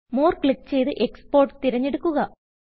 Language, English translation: Malayalam, Click More and select Export